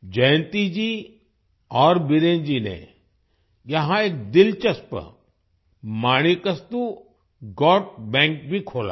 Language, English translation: Hindi, Jayanti ji and Biren ji have also opened an interesting Manikastu Goat Bank here